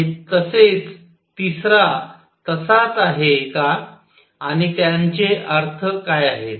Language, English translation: Marathi, And so, does the third one and what are their interpretations